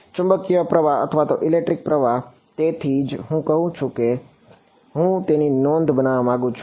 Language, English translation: Gujarati, Magnetic current or electric current so that is why I am saying that that is I want to make a note of it